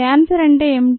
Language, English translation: Telugu, what is cancer